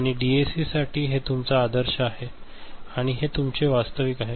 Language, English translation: Marathi, And for DAC, so this is your ideal, and this is your actual ok